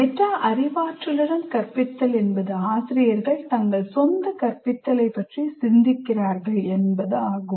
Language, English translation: Tamil, Teaching with metacognition means teachers think about their own thinking regarding their teaching